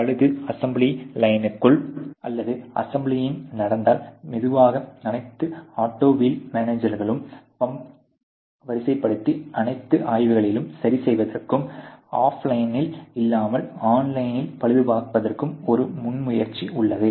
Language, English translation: Tamil, Because obviously the repair happens where not within the assembly line, but of off line, and slowly there is a you know there is a initiative within all auto wheel majors to sort of pump in all the inspection as well as repair to online rather than offline